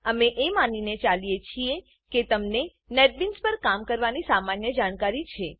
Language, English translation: Gujarati, We assume that you have the basic working knowledge of Netbeans